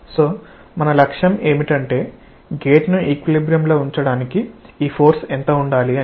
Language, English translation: Telugu, So, our objective is that what should be this force to keep the gate in equilibrium